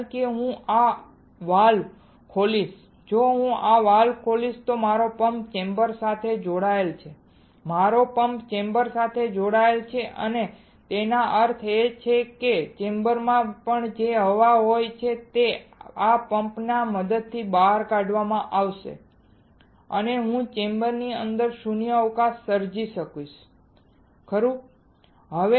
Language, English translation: Gujarati, Because if I open this valve if I open this valve then my pump is connected to the chamber, my pump is connected to the chamber and; that means, whatever the air is there in the chamber will get evacuated with the help of this pump and I will be able to create a vacuum inside the chamber, right